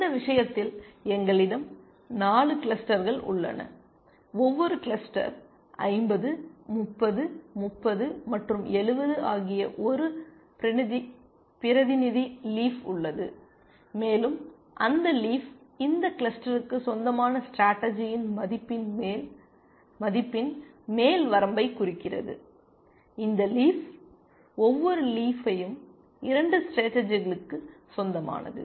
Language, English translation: Tamil, So, in this case we have 4 clusters, and in each cluster we have one representative leaf 50, 30, 30, and 70, and that leaf represents an upper bound on the value of the strategy that this cluster belongs to, this leaf belongs to, each leaf belongs to 2 strategies